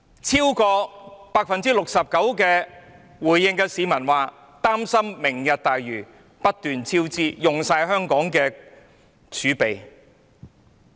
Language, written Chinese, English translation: Cantonese, 超過 69% 回應的市民表示，擔心"明日大嶼願景"計劃不斷超支，花光香港的儲備。, More than 69 % of the public are concerned that the Vision may lead to repeated cost overruns and exhaust Hong Kongs reserves